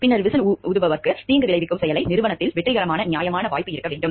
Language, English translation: Tamil, Then capability the whistle blower must have a reasonable chance of success in stopping the harmful activity